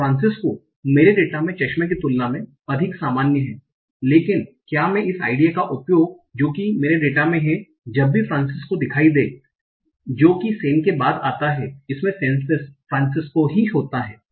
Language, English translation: Hindi, So, Francesco is more common than glasses in my data, but can I use this idea that in my data whenever I see Francisco it occurs only after San Francisco